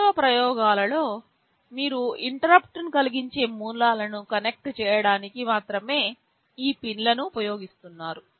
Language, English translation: Telugu, In the actual experiments you shall be using these pins only to connect interrupting sources